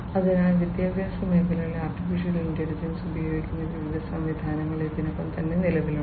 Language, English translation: Malayalam, So, already there are different existing systems which use AI in the education sector